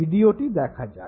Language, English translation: Bengali, Look at this very video